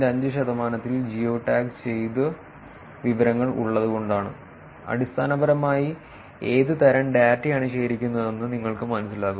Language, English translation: Malayalam, 5 percent had geo tagged information in it, so that basically gives you a sense of what kind of data is collected